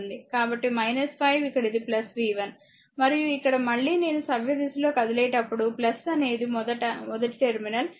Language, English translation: Telugu, So, minus 5 here it is plus v 1, and here again also when I will moving clockwise encountering plus first